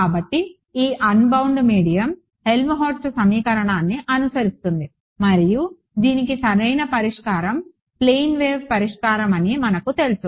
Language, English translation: Telugu, So, this unbound medium follows the Helmholtz equation right and we know that the solution to this is a plane wave solution right